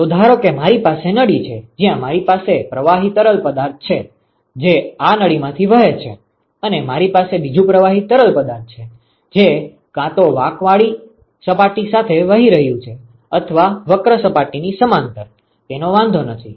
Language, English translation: Gujarati, So, suppose if I have if I have a tube, where I have a fluid which is flowing through this tube and I have another fluid, which is either flowing along the curved surface or parallel to the curved surface it does not matter